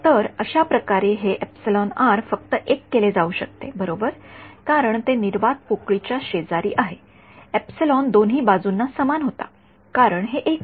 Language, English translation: Marathi, So, by the way this epsilon r can just be made 1 right because its adjacent to vacuum epsilon was the same on both sides, so this is 1